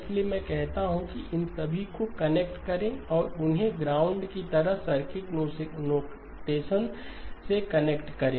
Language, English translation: Hindi, So what I say is connect all of these and connect them to circuit notations like ground